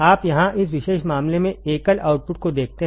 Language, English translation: Hindi, You see here in this particular case single ended output